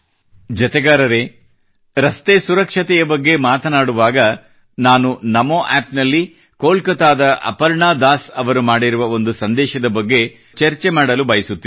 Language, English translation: Kannada, whilst speaking about Road safety, I would like to mention a post received on NaMo app from Aparna Das ji of Kolkata